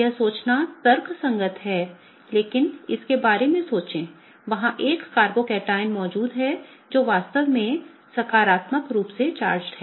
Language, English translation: Hindi, That is logical to think, but think about it there is a carbocation present which is really positively charged